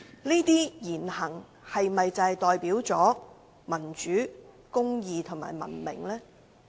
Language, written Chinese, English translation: Cantonese, 這些言行是否代表民主、公義和文明？, Do such words and deeds manifest democracy justice and civilization?